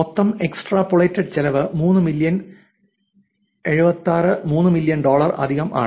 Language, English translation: Malayalam, Total extrapolated cost is 3 million 76; 3 million plus dollars, all right